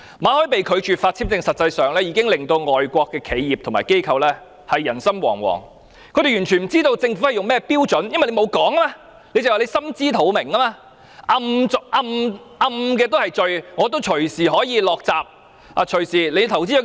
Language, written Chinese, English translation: Cantonese, 馬凱被拒發簽證，實際上已令外國企業和機構人心惶惶，他們完全不知道政府採納甚麼標準，因為政府沒有說明理由，只是說"心知肚明"。, The refusal to renew the visa of Victor MALLET has actually caused widespread anxieties among foreign enterprises and institutions as they have no idea of the standard adopted by the Government . Instead of giving an explanation the Government merely said that we have a clear idea